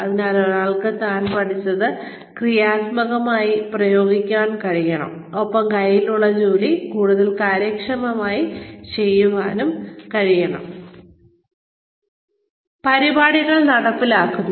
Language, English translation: Malayalam, So, one should be able to apply, constructively, what one has learnt, and be able to do the job at hand, more efficiently